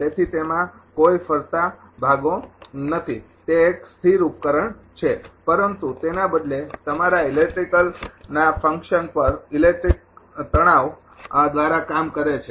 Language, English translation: Gujarati, So, it has no moving parts it is a static device, but instead your functions by being acted upon electric by electric stress right